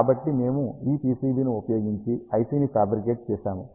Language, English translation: Telugu, So, ah we have fabricated PCB using this IC